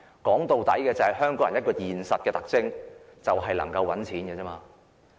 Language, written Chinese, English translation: Cantonese, 說到底，香港人都很現實，能夠賺錢就沒有問題。, After all Hong Kong people are very realistic; there are no problems if they can make money